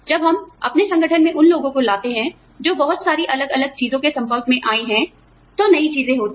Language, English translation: Hindi, When we get people, who have been exposed to a lot of different things, into our organization, newer things happen